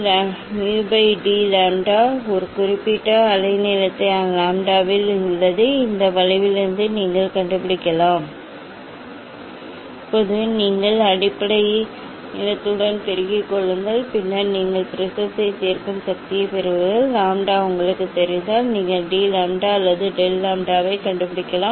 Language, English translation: Tamil, this this is the dependence and then resolving power, so d mu by d lambda is at a particular wavelength lambda, you can find out from this curve Now, you multiply with the base length, then you will get the resolving power of the prism And if lambda is known to you, then you can find out d lambda or del lambda